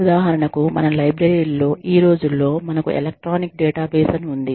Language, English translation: Telugu, For example, in our libraries, these days, we have something called as, electronic databases